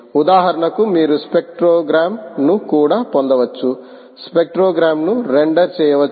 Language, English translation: Telugu, you can also get the spectrogram